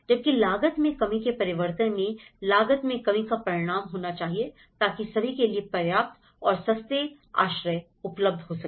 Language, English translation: Hindi, Whereas, the cost reduction changes must result in cost reduction so that adequate and affordable shelter is attaining for all